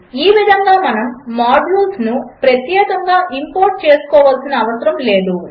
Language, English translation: Telugu, And thus we dont have to explicitly import modules